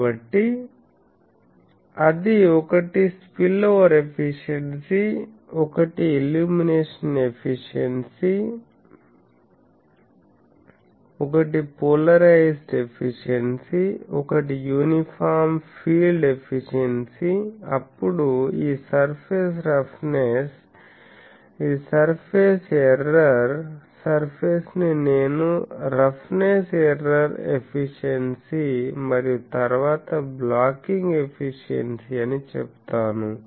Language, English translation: Telugu, So, that will be one is spillover efficiency, one is illumination efficiency, one is polarisation efficiency, one is uniform field efficiency, then this surface roughness, this is surface error; surface I will say roughness error efficiency and then the blocking efficiency